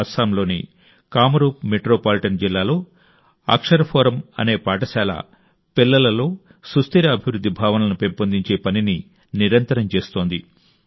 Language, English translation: Telugu, A school named Akshar Forum in Kamrup Metropolitan District of Assam is relentlessly performing the task of inculcating Sanskar & values and values of sustainable development in children